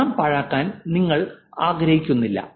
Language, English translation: Malayalam, You don't want to duplicate and waste money